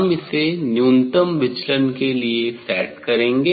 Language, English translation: Hindi, I have to set for minimum deviation position